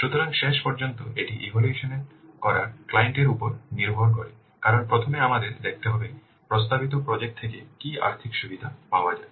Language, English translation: Bengali, So, in the end, it is up to the client to assess this because first we have to see what financial, what benefits will get out of the proposed project